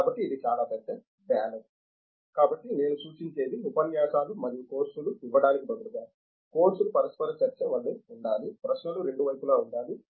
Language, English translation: Telugu, So, this is a very big ballot So, what I suggest is instead of giving lectures and courses, courses should be interactive, more interactive as a matter about questions can be on both sides